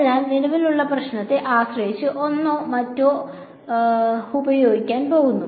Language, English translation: Malayalam, So, depending on whatever is the problem at hand, we are going to use one or the other ok